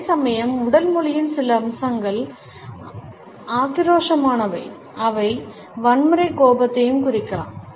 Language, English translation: Tamil, Whereas, some aspects of body language can be aggressive and suggest a violent temper